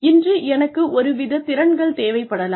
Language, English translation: Tamil, I may need one set of skills today